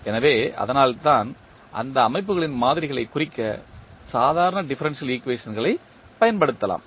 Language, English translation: Tamil, So, that is why we can use the ordinary differential equations to represent the models of those systems